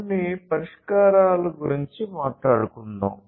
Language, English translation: Telugu, So, let us talk about some of the solutions